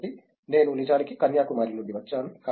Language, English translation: Telugu, So, I am actually from Kanyakumari